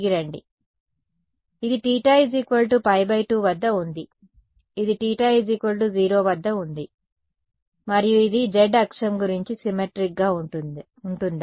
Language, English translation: Telugu, So, this is at theta equal to pi by 2, this is at theta equal to 0 right and this, is it going to be symmetric about the z axis